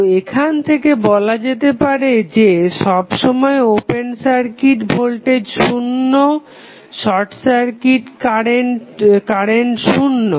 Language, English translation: Bengali, So, what you can say that you always have open circuit voltage 0, short circuit current also 0